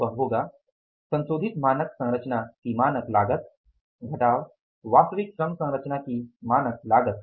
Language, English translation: Hindi, Standard cost of revised standard cost of revised standard composition minus standard cost of standard cost of actual labor composition